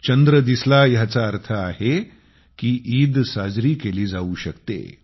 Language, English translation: Marathi, Witnessing the moon means that the festival of Eid can be celebrated